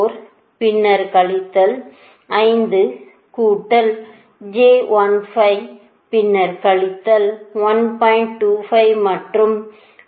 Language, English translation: Tamil, that is actually minus five plus j fifteen right